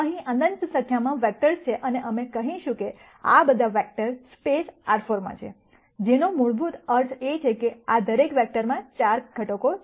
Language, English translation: Gujarati, There are in nite number of vectors here and we will say all of these vectors are in space R 4 , which basically means that there are 4 components in each of these vectors